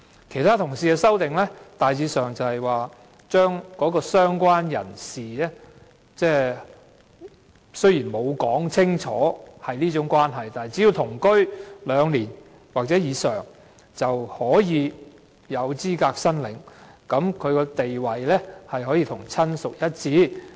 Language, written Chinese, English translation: Cantonese, 其他同事的修正案大致上關乎"相關人士"的定義，當中雖然未有清楚述明屬這種關係，但只要同居兩年或以上，便有資格申領，地位可與親屬一致。, The amendments proposed by other Honourable colleagues are in general related to the definition of related person . Although it is not stated clearly that a related person is considered to be of the same relationship if a person had lived with the deceased for at least two years he or she will be eligible to make an application and his or her status is the same as that of a relative